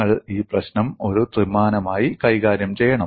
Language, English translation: Malayalam, You must handle this problem as a three dimensional one